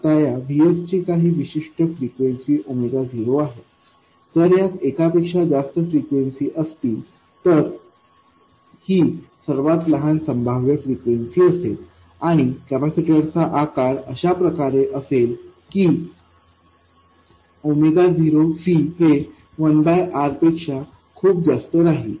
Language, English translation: Marathi, Now, this VS has a certain frequency omega not, if it consists of multiple frequencies this will be the minimum possible frequency and the capacity size such that omega not C is much more than 1 by r